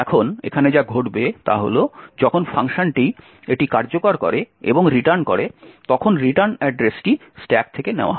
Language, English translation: Bengali, Now what happens here is that when the function completes it execution and returns, the return address is taken from the stack